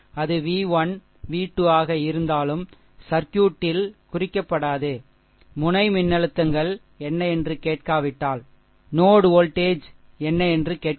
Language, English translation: Tamil, So, so even if it is v 1 v 2 will not mark in the circuit, if you are ask that what are the node voltages, right